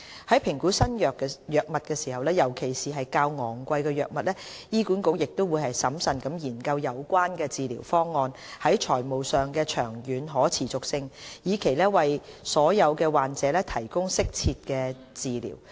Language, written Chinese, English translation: Cantonese, 在評估新藥物，尤其是較昂貴的藥物時，醫管局亦會審慎研究有關治療方案在財務上的長遠可持續性，以期為所有患者提供適切的治療。, In appraising new drugs especially expensive ones HA will also carefully examine the long - term financial sustainability of the drug therapies with a view to providing all patients with appropriate treatments